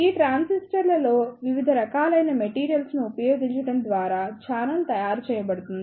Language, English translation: Telugu, In these transistors, the channel is made by using different type of materials